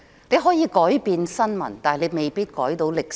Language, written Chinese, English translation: Cantonese, 你可以改變新聞，但你未必能改寫歷史。, You can change the news but you may not be able to rewrite history